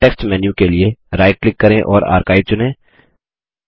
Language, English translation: Hindi, Right click for the context menu and select Archive